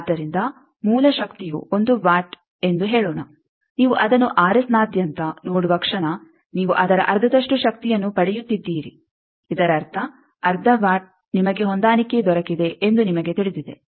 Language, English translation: Kannada, So, let us say source power is one watt the moment you see that across R S you are getting half of that power; that means, half work you know that you have got a match